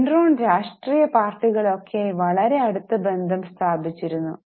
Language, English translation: Malayalam, There was a very strong relationship with Enron and political parties